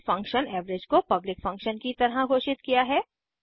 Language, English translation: Hindi, And function average as public function